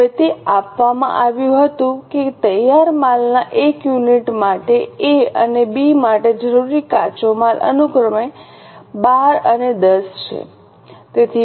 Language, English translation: Gujarati, Now it was given that raw material required of A and B is 12 and 10 respectively for one unit of finished goods